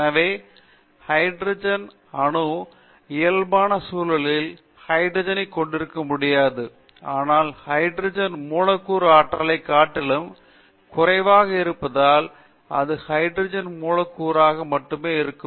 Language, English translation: Tamil, Therefore, we will know, now hydrogen cannot exist in the normal conditions as hydrogen atom, but it can exists only hydrogen molecule because the energy of the hydrogen molecule is lower than that of the energy of the hydrogen atom